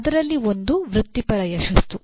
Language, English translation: Kannada, One is professional success